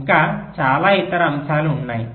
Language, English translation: Telugu, so many other factors are there